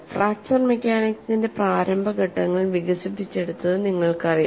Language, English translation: Malayalam, This is where initial stages of fracture mechanics developed